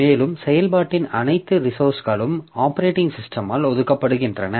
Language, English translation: Tamil, And all the resources of the process are deallocated by the operating system